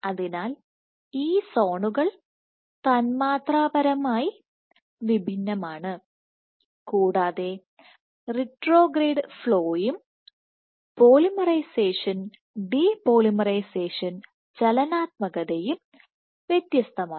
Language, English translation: Malayalam, So, these zones are molecularly distinct and the retrograde flow as well as polymerization depolymerization dynamics is distinct